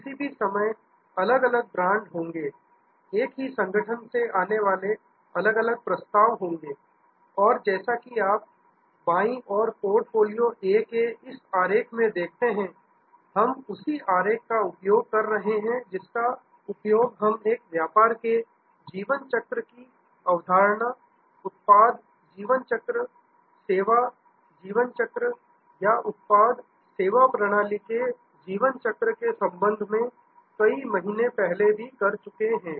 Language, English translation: Hindi, At any point of time there will be different brands, there will be different offerings coming from the same organization and as you see in this diagram of the left hand side portfolio A, we are using that same diagram, which we have use several times before, the concept of the life cycle of a business, product life cycle, service life cycle or product service system life cycle